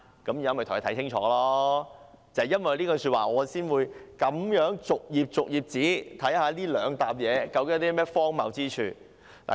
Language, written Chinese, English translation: Cantonese, 正因為她這句說話，我才會逐頁看看究竟這兩疊文件有何荒謬之處。, Precisely because of her words I read these two sets of documents page by page to look for something ridiculous in them